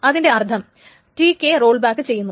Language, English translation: Malayalam, That means TK is now rolled back